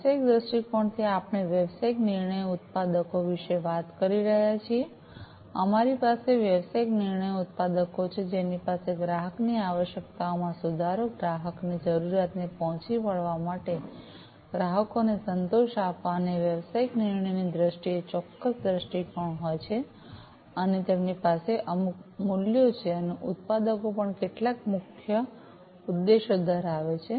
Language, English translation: Gujarati, So, from the business viewpoint we are talking about business decision makers, we have the business decision makers, who have a certain vision and have certain values, in terms of improving the customer requirements, meeting the customer requirements, you know, satisfying the customers, and, so on, and the business decision makers also have certain key objectives